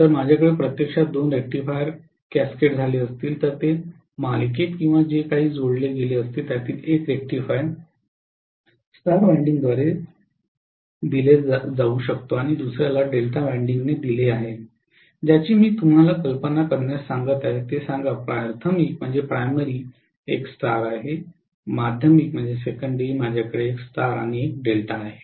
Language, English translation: Marathi, If I am having actually two rectifiers cascaded, may be connected in series or whatever, one of the rectifier is being fed by a star winding and the other one is fed by a delta winding, what I am asking you to imagine is let us say the primary is a star, in the secondary I have one star and one delta